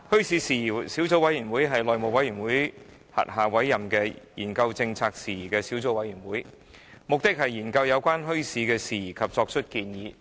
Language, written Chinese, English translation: Cantonese, 小組委員會是內務委員會轄下委任的研究政策政府事宜的小組委員會，目的是研究有關墟市事宜及作出建議。, The Subcommittee was appointed under the House Committee to study issues relating to government policies . Its aim is to study issues relating to bazaars and make recommendations